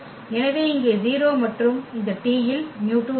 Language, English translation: Tamil, So, here 0 and also this t does not have mu 2